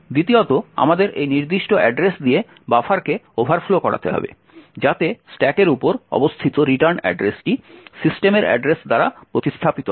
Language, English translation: Bengali, Second we need to overflow the buffer with this particular address so that the written address located on the stack is replaced by the address of system